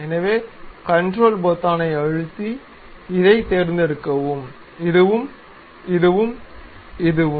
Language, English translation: Tamil, Now, use control button, click, select this one also, select this one, select this one